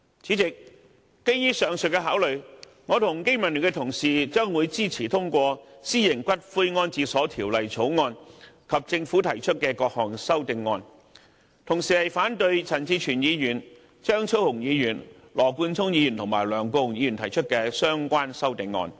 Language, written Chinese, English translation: Cantonese, 主席，基於上述的考慮，我和經民聯的同事將會支持通過《條例草案》及政府提出的各項修正案，同時反對陳志全議員、張超雄議員、羅冠聰議員及梁國雄議員提出的相關修正案。, President based on the above mentioned considerations I and Members of BPA support the passage of the Bill and CSAs proposed by the Government but we oppose the relevant CSAs proposed by Mr CHAN Chi - chuen Dr Fernando CHEUNG Mr Nathan LAW and Mr LEUNG Kwok - hung